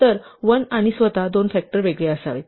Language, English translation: Marathi, So, there should be two factors separately 1 and itself